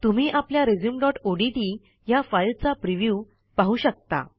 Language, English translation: Marathi, You can see the preview of our resume.odt file